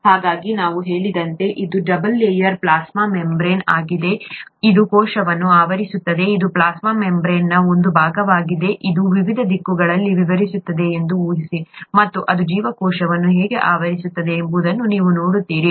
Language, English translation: Kannada, So this is the double layer plasma membrane as I said, it covers the cell, this is a part of the plasma membrane, assume that it is extending in various directions, and you see how it can cover the cell